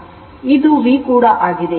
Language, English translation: Kannada, It is V